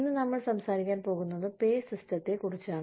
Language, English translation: Malayalam, Today, we are going to talk about, the pay system